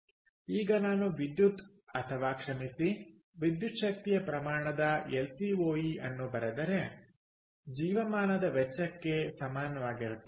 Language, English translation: Kannada, so now, if i write electricity or sorry, electrical energy times, lcoe is equal to lifetime cost, right